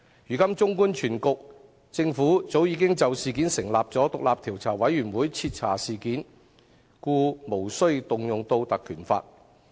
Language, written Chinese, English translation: Cantonese, 如今綜觀全局，政府早已就事件成立調查委員會徹查事件，故無須引用《條例》。, If we look at the whole picture now we will realize that the Government has already set up the Commission of Inquiry to conduct a thorough investigation into the incident so there is no need to invoke the Ordinance